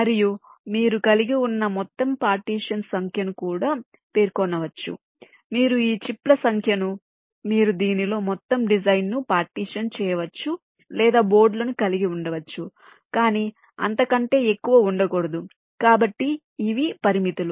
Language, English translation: Telugu, that can also be specified that you can have this many number of chips in which you can partition a whole design or this many number of boards, not more than that